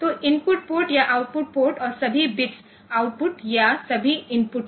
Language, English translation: Hindi, So, input port or output port and all bits are all bits are out or all are in